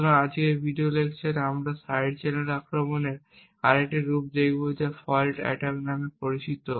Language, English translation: Bengali, So, in today’s video lecture we will be looking at another form of side channel attack known as a fault attack